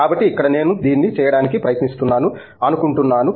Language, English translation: Telugu, So, here I think we are trying to do this